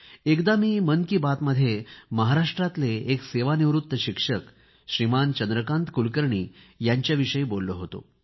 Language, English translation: Marathi, Once, in Mann Ki Baat, I had mentioned about a retired teacher from Maharashtra Shriman Chandrakant Kulkarni who donated 51 post dated cheques of Rs